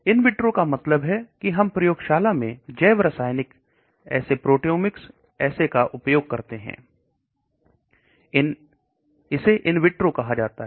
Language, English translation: Hindi, In vitro means we use laboratory biochemical assays, proteomic assays that is called, in vitro